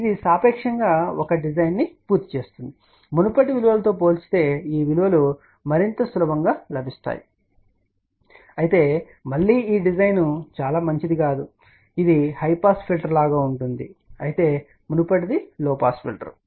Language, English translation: Telugu, And this relatively completes a design, these values are more readily available compared to the previous value, but again this design is not a very good design in a sense that this is more like a high pass filter whereas, a previous one was low pass filter